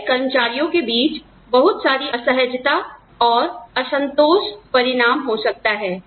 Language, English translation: Hindi, That could result, in a lot of discomfort and discontent, among employees